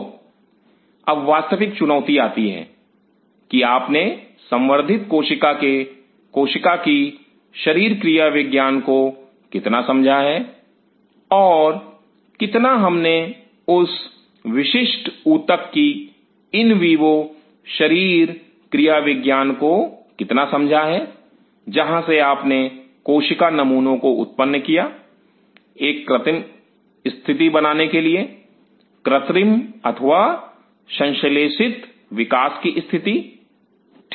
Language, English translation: Hindi, So, there comes the real challenge how much you have understood the biology of the cell of the cultured cell and how much we have appreciated the in vivo physiology of that particular tissue from where you have derived the cell sample in order to create an artificial condition artificial or synthetic growing condition, fine